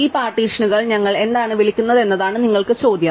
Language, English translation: Malayalam, Well, the question is what do we call this partition